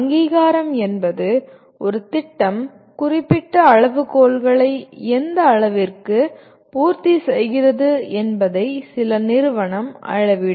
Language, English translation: Tamil, What accreditation means the some agency will measure to what extent a program that is conducted meet certain specified criteria